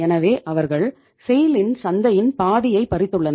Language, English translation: Tamil, So they have snatched the half of the market of SAIL